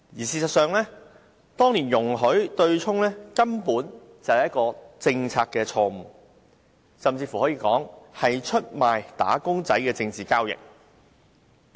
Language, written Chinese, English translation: Cantonese, 事實上，當年制訂這對沖機制，根本是政策錯誤，甚至可以說是出賣"打工仔"的政治交易。, In fact the formulation of this offsetting mechanism back then was nothing other than a policy blunder and it can even be described as a political deal that betrayed wage earners